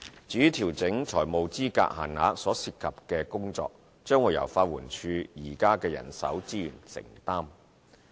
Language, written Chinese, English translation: Cantonese, 至於調整財務資格限額所涉及的工作，將由法援署的現有人手資源承擔。, The workload in effecting the changes to the financial eligibility limits will be absorbed by LAD with its existing manpower resources